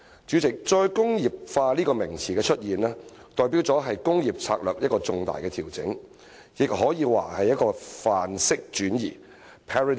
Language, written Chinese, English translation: Cantonese, 主席，"再工業化"一詞的出現，代表的是工業策略的一個重大調整，也可以說是一個範式轉移。, President the emergence of the term re - industrialization denotes a major adjustment to industrial strategies and arguably signifies a paradigm shift